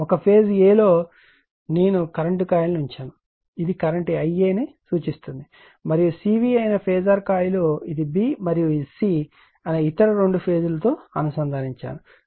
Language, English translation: Telugu, Suppose in phase a I have put the current coil , which sees the current I a , and the phasor coil that is C V , it is connected to your what you call that other other two phases that is b and c right